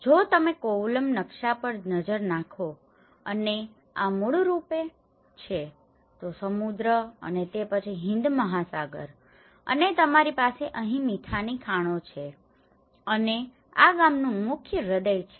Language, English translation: Gujarati, If you look at the Kovalam map and this is basically, the sea and then Indian Ocean and you have the salt mines here and this is the main heart of the village